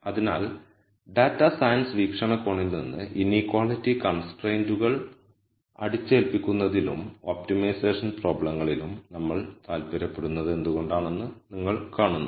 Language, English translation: Malayalam, So, you see why we might be interested in imposing inequality constraints and optimization problems from a data science viewpoint